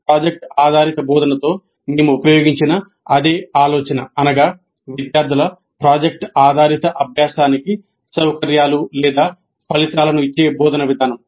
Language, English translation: Telugu, In the earlier module we understood project based approach to instruction, an approach that results in or an approach that facilitates project based learning by students